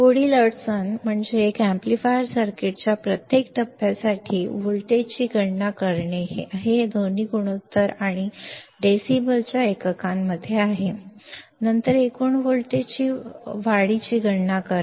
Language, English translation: Marathi, The next problem is to calculate the voltage gain for each stage of this amplifier circuit both has ratio and in units of decibel, then calculate the overall voltage gain